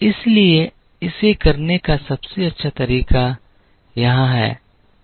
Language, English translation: Hindi, So, the best way to do it is here